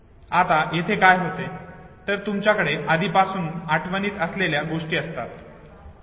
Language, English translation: Marathi, Now what happens here is, that you have already a memorized space, okay